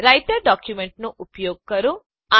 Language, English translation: Gujarati, Use the Writer document